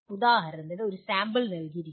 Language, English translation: Malayalam, For example, one sample is given